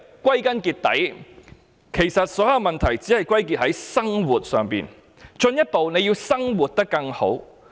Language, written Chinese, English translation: Cantonese, 歸根結底，其實所有問題只在於"生活"，進一步便是要"生活得更好"。, After all all problems boil down to living and the next pursuit is a better way of living